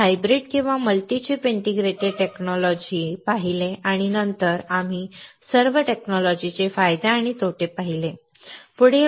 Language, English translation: Marathi, We saw hybrid or multi chip integrated circuit technology and then we saw advantages and disadvantages of all the technologies